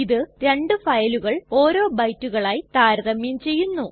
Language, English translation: Malayalam, It compares two files byte by byte